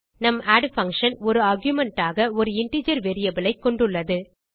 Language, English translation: Tamil, And our add function has integer variable as an argument